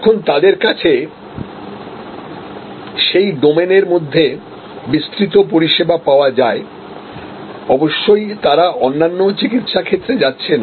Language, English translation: Bengali, So, there is now a wide range of services that are available from them in that domain, of course they are not getting into other medical areas